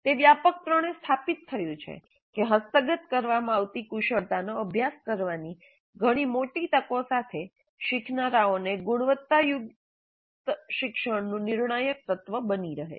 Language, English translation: Gujarati, It's widely established that providing learners with a very large number of opportunities to practice the competencies being acquired is crucial element of quality learning